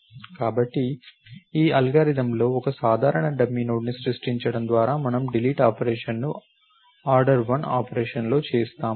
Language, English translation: Telugu, So, in this algorithm by creating one simple dummy node, we make the delete operation in an order one operation